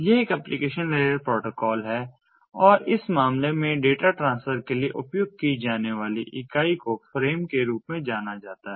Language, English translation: Hindi, it is an application layer protocol and the, the, the, the unit ah that is used for data transfer in this case is known as the frame